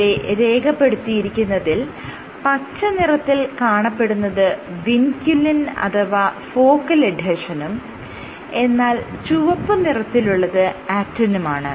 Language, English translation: Malayalam, So, the greens are vinculin or focal adhesion and the red is actin